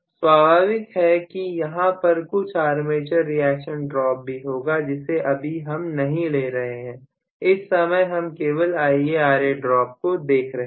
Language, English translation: Hindi, Of course, there will be some armature reaction drop currently I am not considering, I am only looking at IaRa drop